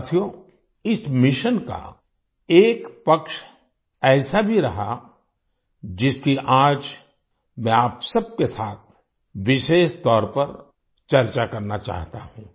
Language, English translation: Hindi, Friends, there has been one aspect of this mission which I specially want to discuss with all of you today